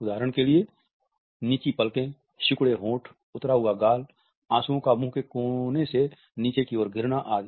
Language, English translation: Hindi, For example, dropping eyelids, lowered lips and cheeks, formation of tears and corners of the mouth dropping downwards